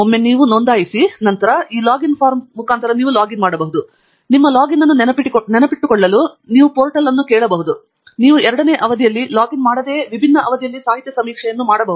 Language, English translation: Kannada, once you register, then you can log in by using this login form and you can ask the portal to remember your login so that you can perform the literature survey in different sessions without having to log in a second time